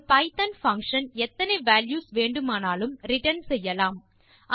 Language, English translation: Tamil, A python function can return any number of values